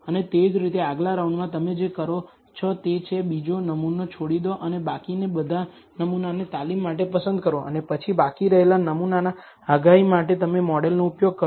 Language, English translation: Gujarati, And similarly, in the next round what you do is, leave out the second sample and choose all the remaining for training and then use that model for predicting on the sample that is left out